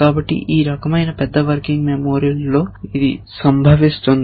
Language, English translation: Telugu, So, in a large working memory of this kind